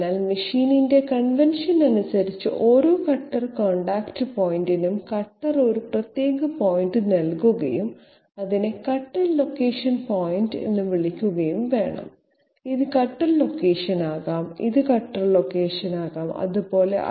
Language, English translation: Malayalam, So as per the convention of the machine we have to give a specific point on the cutter for each and every cutter contact point and call it the cutter location point, this can be cutter location, this can be cutter location, like that so that is why we call CLdata cutter location data